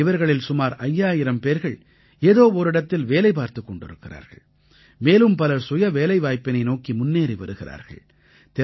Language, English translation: Tamil, Out of these, around five thousand people are working somewhere or the other, and many have moved towards selfemployment